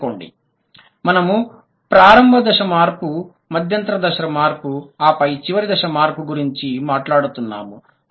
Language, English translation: Telugu, Remember, we are talking about the initial change, intermediate stage, intermediate change and then the final change, the final stage